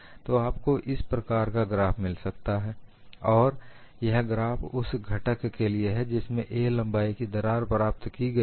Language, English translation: Hindi, So, you can get a graph like this, and this graph is obtained for the component having a crack of length a